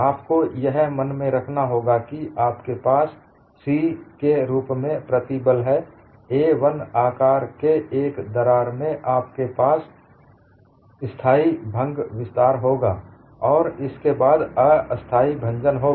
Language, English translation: Hindi, You have to keep in mind when you have the stress as sigma c, a crack of size a 1 will have a stable fracture extension, followed by unstable fracture